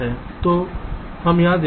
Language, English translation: Hindi, so lets see here